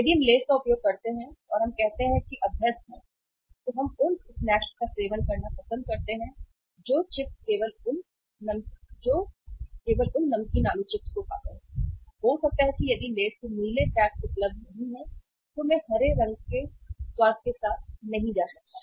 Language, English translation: Hindi, If we use Lays and we we are say means habitual, we like to consume the those snacks those chips only those uh salted uh potato chips then maybe if the Lays is not available of the blue pack of the Lays is not available I may go with the green American taste